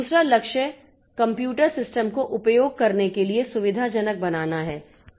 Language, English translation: Hindi, The second goal is to make the computer system convenient to use